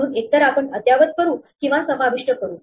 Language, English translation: Marathi, So, either you update or you insert